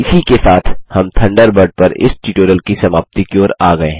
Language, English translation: Hindi, This brings us to the end of this tutorial on Thunderbird